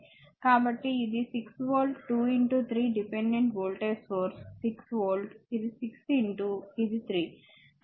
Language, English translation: Telugu, So, it is 6 volt 2 into 3 dependent voltage source 6 volt it is 6 into this 3